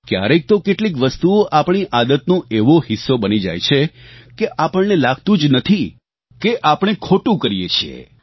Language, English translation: Gujarati, Sometimes certain things become a part of our habits, that we don't even realize that we are doing something wrong